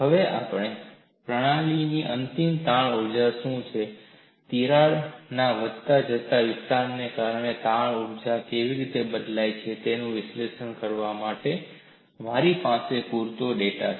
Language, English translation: Gujarati, Now, I have sufficient data to analyze what is the final strain energy of the system and how the strain energy has changed because of an incremental extension of the crack